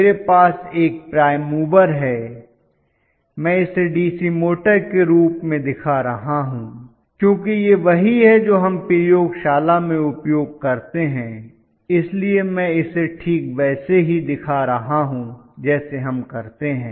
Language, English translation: Hindi, I have a prime mover, I am showing it to the form of DC motor okay, because this is what we use in the laboratory so I am exactly showing it like what we do